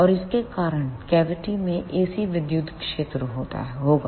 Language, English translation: Hindi, And because of this there will be ac electric field in the cavity